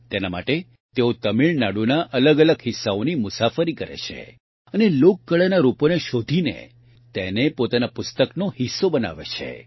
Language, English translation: Gujarati, For this, he travels to different parts of Tamil Nadu, discovers the folk art forms and makes them a part of his book